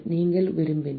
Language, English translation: Tamil, if you want